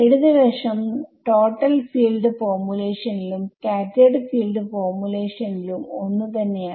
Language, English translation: Malayalam, The same form the left hand side is the same in total field formula in total and scattered field formulation